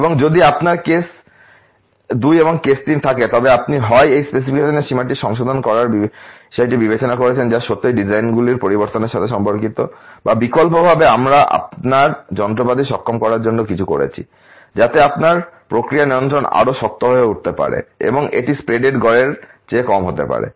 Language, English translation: Bengali, And in case you have a case two case three then you have either consider revising these specification limits which is really related to change of the designs specs or alternately we have do something to enable your machinery, so that your process control can become tighter, and it can be over the mean in the spread can be less